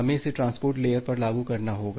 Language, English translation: Hindi, We have to implement it at the transport layer